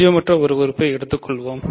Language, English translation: Tamil, So, let us take a non zero element